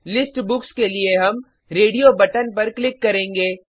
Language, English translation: Hindi, We will click on the radio button for List Books